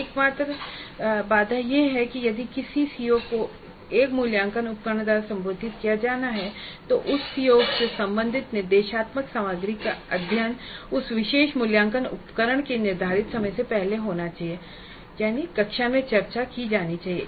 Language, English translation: Hindi, So the only constraint is that if a CO is to be addressed by an assessment instrument, the instructional material related to that COO must already have been uncovered, must have been discussed in the class and completed before the scheduled time of that particular assessment instrument